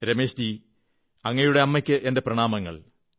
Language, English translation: Malayalam, " Ramesh ji , respectful greetings to your mother